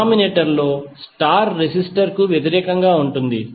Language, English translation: Telugu, Denominator would be opposite star resistor